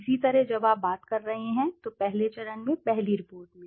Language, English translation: Hindi, Similarly when you are talking about, in the first stage, in the first report